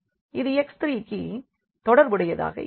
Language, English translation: Tamil, So, we will get simply here x 2